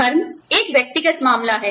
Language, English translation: Hindi, Religion is a personal matter